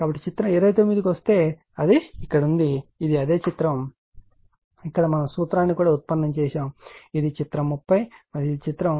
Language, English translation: Telugu, So, if you come back to figure 29 it is here , this is the , just hold on, is just the same figure where where you have derive the formula right this is the figure 30 and this is your this is the figure in this figure right